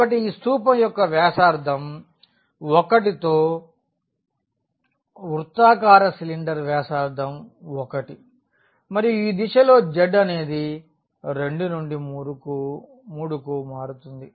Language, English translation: Telugu, So, this is a cylinder here with radius 1 circular cylinder with radius 1 and it varies in the direction of this z from 2 to 3